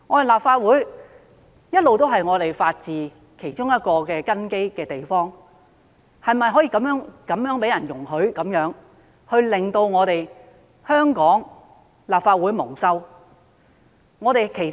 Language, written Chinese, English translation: Cantonese, 立法會一直都是法治其中一個根基，我們是否可以容許他人這樣做，而致令香港立法會蒙羞？, All along the Legislative Council has been one of the bases for the rule of law . Can we allow such behaviours of a person to put the Legislative Council of Hong Kong to shame?